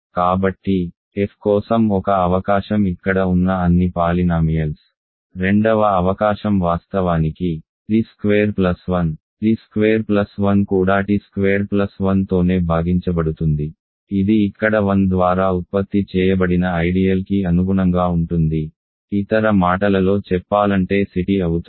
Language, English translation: Telugu, So, that one possibility for f is all the polynomials here; the second possibility is of course, t squared plus 1 t squared plus 1 itself divide t squared plus 1 these corresponds to here the ideal generated by 1, in other words is C t